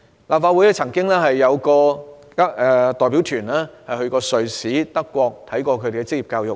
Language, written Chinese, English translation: Cantonese, 立法會曾有代表團到瑞士和德國考察當地的職業教育。, A delegation of the Legislative Council visited Switzerland and Germany to study their vocational education